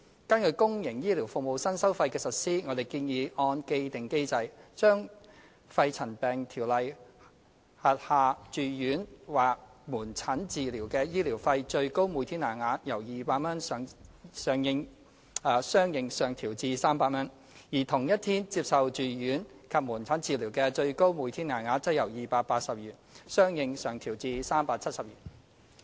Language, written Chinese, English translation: Cantonese, 根據公營醫療服務的新收費，我們建議按既定機制，將《條例》下住院或門診治療的醫療費最高每天限額由200元相應上調至300元，而同一天接受住院及門診治療的最高每天限額，則由280元相應上調至370元。, Based on the new fees and charges for public health care services we propose to correspondingly increase the maximum daily rate of medical expenses for inpatient or outpatient treatment under PMCO from 200 to 300 and that for inpatient and outpatient treatment received on the same day from 280 to 370 in accordance with the established mechanism